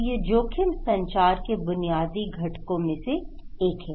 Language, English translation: Hindi, So, this is one of the basic components of risk communications